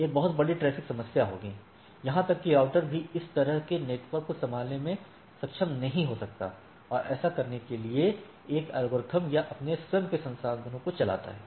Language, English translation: Hindi, So, there will be a huge traffic problem, even the router may not be able to handle such a network and do run a algorithms or with his own resources to do that